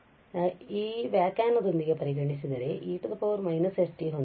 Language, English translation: Kannada, So, if we consider with the definition so we have e power minus s t